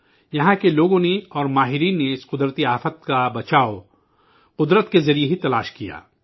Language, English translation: Urdu, The people here and the experts found the mitigation from this natural disaster through nature itself